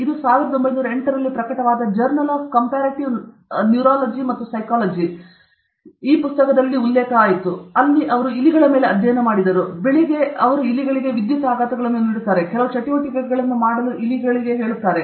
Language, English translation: Kannada, This is Journal of Comparative Neurology and Psychology, published in 1908, where they did studies on rats, and then they give electric shocks to rats, and ask the rats to do some activity